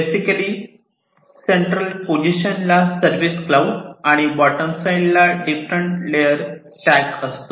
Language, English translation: Marathi, At the center is basically the service cloud and at the bottom are a stack of different layers